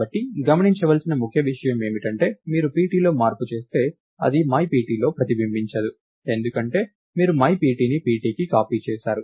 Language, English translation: Telugu, So, the key thing to notice is that if you make a change at pt, its not going to reflect in myPt, because you made a copy of myPt to pt